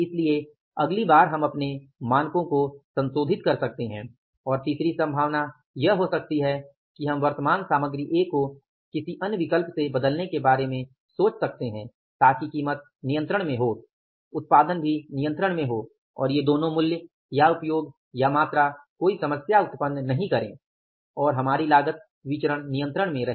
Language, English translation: Hindi, So, next time we can revise the standards or it may be the third possibility that we can think of replacing the present material A with some other alternative so that price is also under control, output is also under control and both this price and usage or quantity do not create any problem and our cost variance is within the control